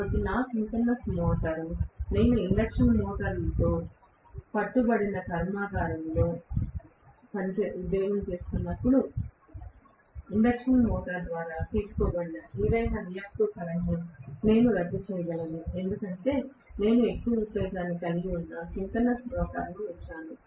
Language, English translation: Telugu, So, my synchronous motor, when I employ in a factory which is insisted with induction motors, I would be able to nullify any reactive current that are being drawn by the induction motor, provided I put a synchronous motor which is having excess excitation